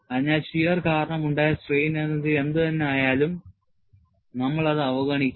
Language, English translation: Malayalam, So, whatever the strain energy introduced because of shear, we would neglect it